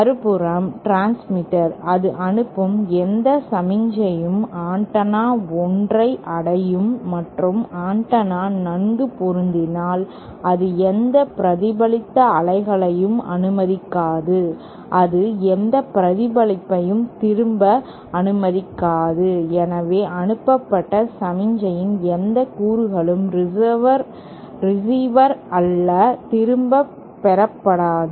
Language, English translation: Tamil, The transmitter on the other hand, any signal that it sends will reach the antenna 1st and if the antenna is well matched, then it will not allow any reflected wave, it will allow no reflection back, so no component of the transmitted signal will be received back by the receiver